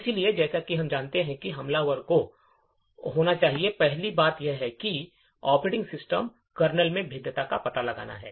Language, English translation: Hindi, So, the first thing as we know the attacker should be doing is to find a vulnerability in the operating system kernel